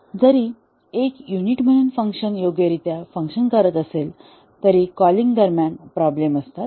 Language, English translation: Marathi, Even though as a unit the functions worked correctly, during calling there are problem